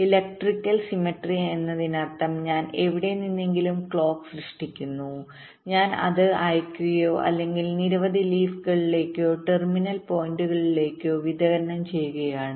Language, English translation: Malayalam, what does electrical symmetry means electrical symmetry means that, well, i am generating the clock from somewhere, i am sending it or distributing it to several leaf or terminal points